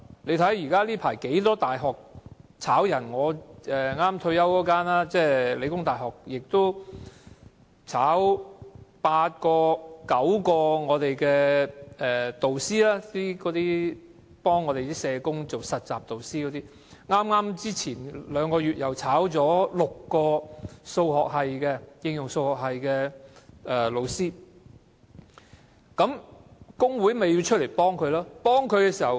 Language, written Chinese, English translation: Cantonese, 最近便有多間大學解僱職員，例如我退休前任教的香港理工大學，便解僱了八九名幫社工學生做實習的導師，前兩個月又解僱了6名應用數學系的導師，工會出來幫助他們。, For example The Hong Kong Polytechnic University where I used to teach before retirement has recently fired eight or nine tutors who helped social work students with their placement . Two months ago it fired six teaching staff in the Faculty of Applied Mathematics . The staff union stepped in to offer help